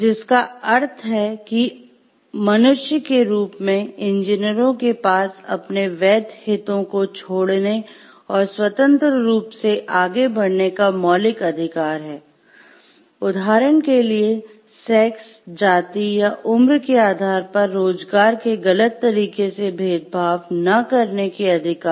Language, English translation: Hindi, So, as humans the engineers have fundamental rights to leave and freely pursue their legitimate interest, which implies; for example, rights not to be unfairly discriminated against in employment on the basis of sex, race or age